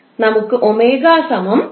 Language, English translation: Malayalam, We get omega is equal to 2 pi f